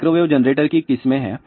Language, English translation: Hindi, There are varieties of microwave generators are there